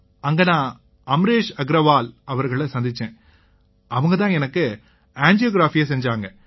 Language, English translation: Tamil, Then we met Amresh Agarwal ji, so he did my angiography